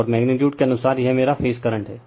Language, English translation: Hindi, And as per magnitude wise, this is my phase current